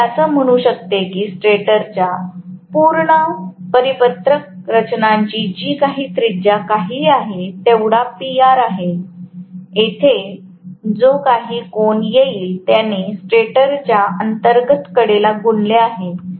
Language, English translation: Marathi, So, I can say PR is going to be whatever is the radius of the complete circular structure of the stator, right, the inner rim of the stator multiplied by whatever is the angle here